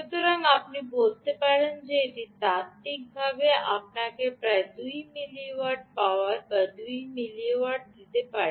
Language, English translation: Bengali, theoretically, this should give you two milliwatts to about, yeah, about two milliwatts of power